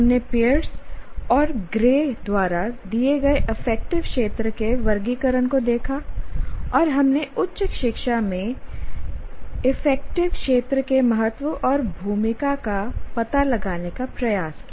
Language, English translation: Hindi, We looked at the taxonomy of affective domain as given by Pearson Gray and we tried to relate, we tried to explore the importance and the role of affective domain at higher education itself